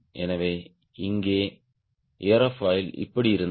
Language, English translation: Tamil, so here, aerofoil was like this